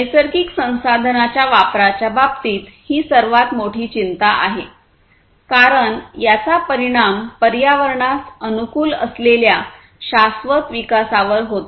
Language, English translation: Marathi, So, in terms of consumption of natural resources this is one of the very biggest concerns, because that has impact on the sustainable development which is environment friendly